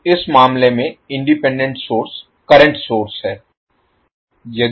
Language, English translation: Hindi, So, independent source in this case is the current source